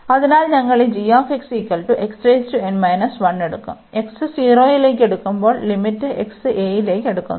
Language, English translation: Malayalam, And again we have to take this limit as x approaching to 0, so when we take this limit x approaches to x approaches to 0